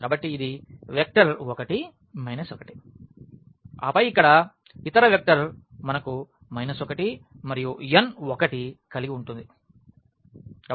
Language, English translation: Telugu, So, this is the vector 1 minus 1 and then the other vector here we have minus 1 and n 1